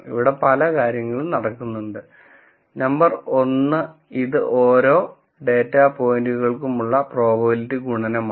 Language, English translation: Malayalam, There are many things going on here, number 1 that this is a multiplication of the probabilities for each of the data point